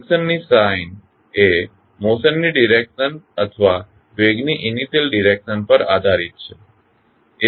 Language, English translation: Gujarati, The sign of friction depends on the direction of motion or the initial direction of the velocity